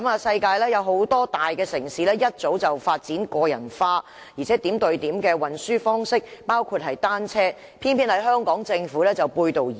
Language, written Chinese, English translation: Cantonese, 世界很多大城市早已發展個人化及點對點的運輸方式，包括單車，偏偏香港政府卻背道而馳。, Many major cities in the world have developed personalized point - to - point modes of transport . Bicycles are one of them . The Hong Kong Government however runs counter to this trend